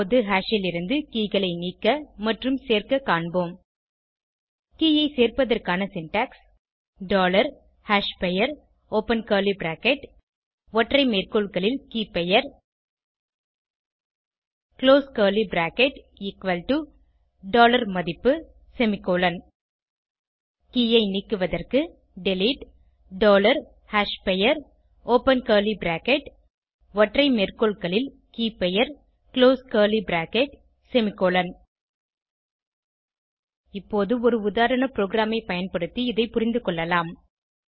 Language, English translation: Tamil, adding key is dollar hashName open curly bracket single quote KeyName single quote close curly bracket equal to $value semicolon deleting key is delete dollar hashName open curly bracket single quote KeyName single quote close curly bracket semicolon Now, let us understand this using a sample program